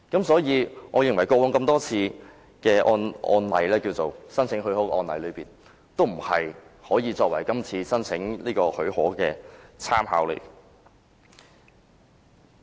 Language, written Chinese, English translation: Cantonese, 所以，我認為以往多次的特別許可申請先例不能作為這次申請的參考。, So I think the many precedents of special leave applications cannot serve as reference for our consideration of this application